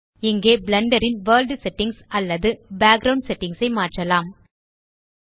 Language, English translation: Tamil, Here we can change the world settings or background settings of Blender